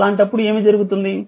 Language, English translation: Telugu, So, in that case what will happen